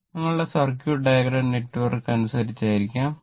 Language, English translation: Malayalam, It may be in according to your circuit diagram network, angle everything right